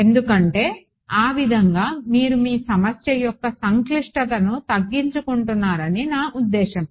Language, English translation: Telugu, Because I mean that way you reduce your the complexity of your problem ok